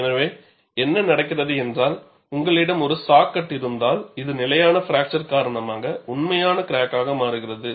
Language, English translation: Tamil, So, what happens is, if you have a saw cut, this changes into a real crack due to stable fracture